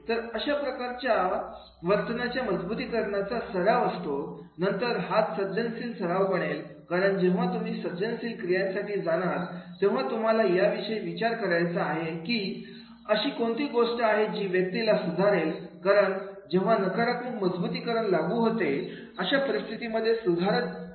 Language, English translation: Marathi, So, these type of the new reinforcement behavior practices then that will be the creative one practices because when you are going for the corrective action you have to think about it that what will make this particular person correct because the situation normally corrective action is applicable where normally negative reinforcement is applicable